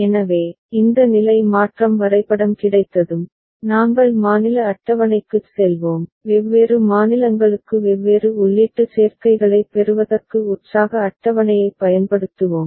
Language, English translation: Tamil, So, once we have this state transition diagram, we shall go to the state table and we shall use the excitation table for getting different input combinations for different states